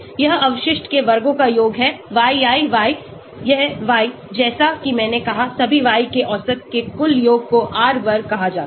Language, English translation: Hindi, This is sum of squares of the residual, yi y this y, as I said is the average of all the y’s is called total variance is called R square